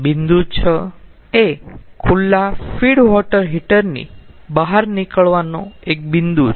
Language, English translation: Gujarati, so point six is the point at the exit of the open feed water heater